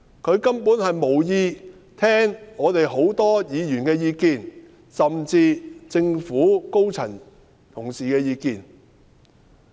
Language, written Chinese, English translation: Cantonese, 她根本無意聽我們許多議員的意見，甚至政府高層同事的意見。, She simply has no intention to listen to the views of most Members not even senior government officials